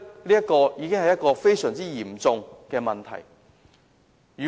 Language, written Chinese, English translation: Cantonese, 因此，這已經是非常嚴重的問題。, Therefore it has already become a very serious problem